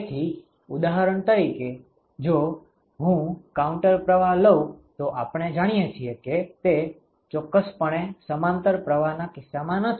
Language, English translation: Gujarati, So, for example, if I take a counter flow it is definitely not the case in a parallel flow we know that ok